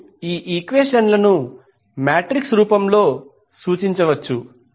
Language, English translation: Telugu, You can represent this equation in matrix form